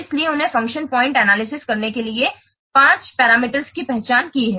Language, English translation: Hindi, So, he had identified five parameters for performing the function point analysis, let's see